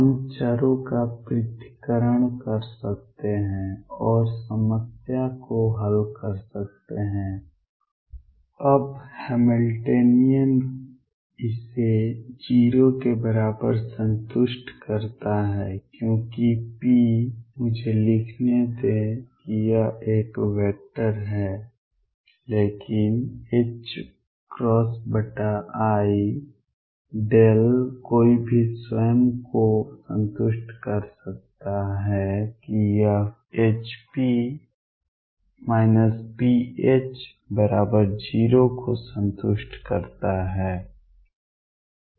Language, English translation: Hindi, We can do separation of variables and solve the problem now again the Hamiltonian satisfies this equal to 0 because p, vector let me write this is a vector is nothing but h cross over i times the gradient operator any can satisfy yourself that this satisfies hp minus p H equal 0